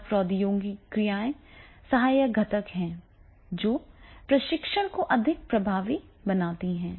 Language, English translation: Hindi, Communication, technology, all these are the supportive components which are making the training more effective